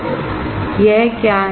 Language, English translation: Hindi, R= (ρL/A) What is this